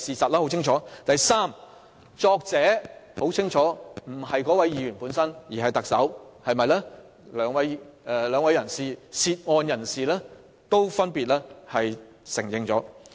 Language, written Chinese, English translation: Cantonese, 第三，很明顯，文件的撰寫人不是該議員而是特首，這一點兩位涉案人士都已經分別承認。, Third the person who drafted the document is apparently not the Member but LEUNG Chun - ying . This point was respectively admitted by both the Member in question and LEUNG Chun - ying